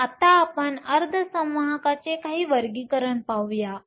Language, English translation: Marathi, So, let us now look at some Classifications of semiconductors